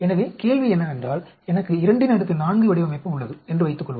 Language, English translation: Tamil, So, the question is, suppose I have a 2 power 4 design